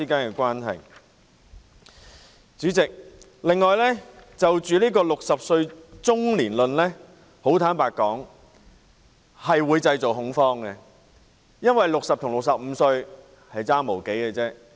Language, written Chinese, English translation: Cantonese, 坦白說，主席 ，"60 歲中年論"的說法會製造恐慌，因為60歲與65歲相差無幾。, Frankly speaking President the saying that 60 years old is being middle - aged will create panic as there is not much difference between 60 years old and 65 years old